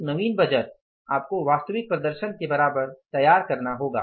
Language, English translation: Hindi, A fresh budget you have to prepare equal to the actual performance